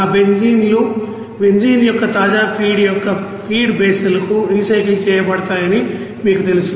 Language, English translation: Telugu, And those benzenes will be you know recycle to that feed basal of that you know fresh feed of benzene